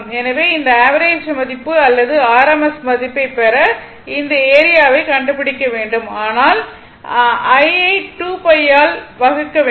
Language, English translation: Tamil, So, you have to find out this area to get this average value or rms value, but you have to divide it by 2 pi you have to divide this by 2 pi